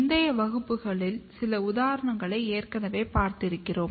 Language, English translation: Tamil, You have already studied some of the example in the previous classes